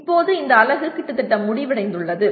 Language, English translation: Tamil, Now that is nearly the end of this unit